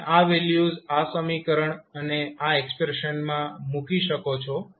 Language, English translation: Gujarati, You can put the values in the equation and this expression for it